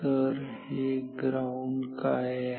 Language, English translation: Marathi, So, what is this ground